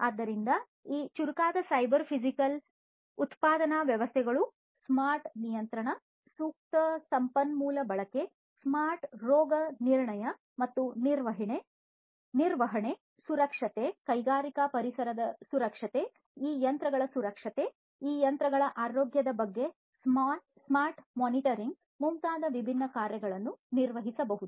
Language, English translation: Kannada, So, these smarter cyber physical manufacturing systems can perform different things such as smart control, optimal resource utilization, smart diagnostics and maintenance, safety, safety of the industrial environment, safety of these machines, smart monitoring of the health of these machines